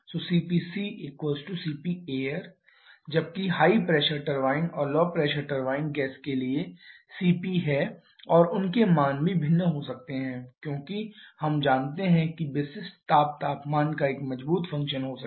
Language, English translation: Hindi, So, this CP corresponding to this is nothing but CP for air whereas the for high pressure turbine and low pressure turbine is CP for the gas and their values also can be different because we know specific heat can be a strong function of temperature